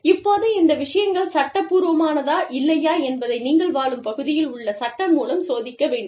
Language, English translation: Tamil, Now, whether these things are legal or not, that you will have to check, with the law of the land, that you live in